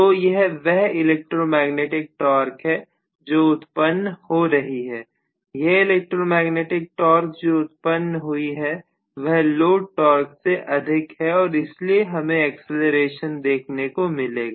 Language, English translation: Hindi, So this is what is actually the electromagnetic torque developed, the electromagnetic torque developed happens to be higher than the load torque still there will be acceleration